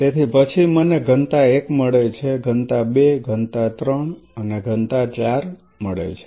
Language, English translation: Gujarati, So, then I get density one density two density 3 and density 4